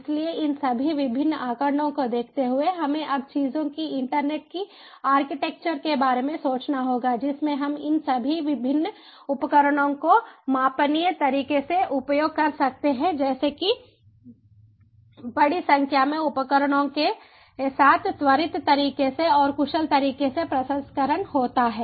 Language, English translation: Hindi, so, given all these different statistics, we now have to think about an architecture of internet of things where in we can use this, all this different devices, in a scalable manner, such that the processing happens with large number of devices in a quicker manner